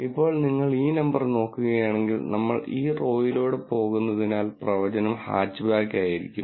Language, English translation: Malayalam, Now, if you look at this number, because we are going across this row, the prediction still remains to be Hatchback